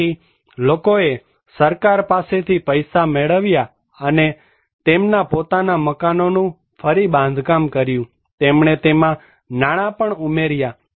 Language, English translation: Gujarati, So, people receive money from the government and they reconstructed their own house, they also added money into it